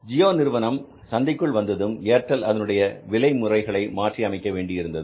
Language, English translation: Tamil, Now, when the Gio came in the market, Airtel, they had to redo the whole pricing system